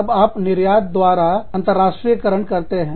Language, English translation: Hindi, Then, you internationalize, through export